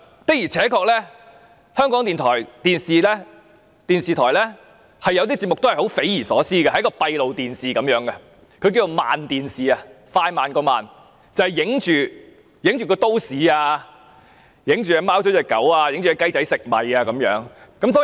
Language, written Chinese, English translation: Cantonese, 的而且確，港台電視部有些節目是匪夷所思，好像播放閉路電視的影像般，稱為"慢電視"，只是播放都市場景、貓狗追逐、小雞啄米等。, Truly certain programmes of the TV Division of RTHK are unimaginable . Some programmes are like the broadcast of images from closed - circuit television . This is called the Slow TV where scenes of the city chase among cats and dogs and chickens pecking rice and so on are broadcast